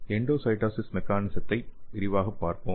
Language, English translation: Tamil, So let us see the mechanism of endocytosis in details